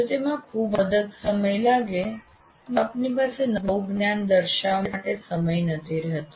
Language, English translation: Gujarati, If it takes too long then you don't have time for actually demonstrating the new knowledge